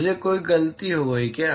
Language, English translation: Hindi, Did I make a mistake